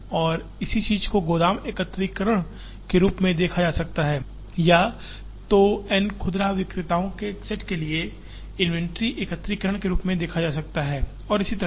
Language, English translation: Hindi, And the same thing can be seen as either warehouse aggregation or can be seen as inventory aggregation for a set of N retailers and so on